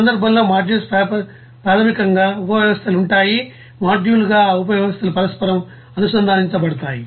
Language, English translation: Telugu, And in that case that modules basically subsystems will be there and those the subsystems as a module will be interconnected